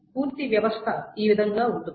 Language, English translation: Telugu, And that is how the entire system is there